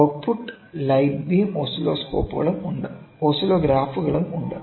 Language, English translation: Malayalam, So, a light beam oscillograph is also used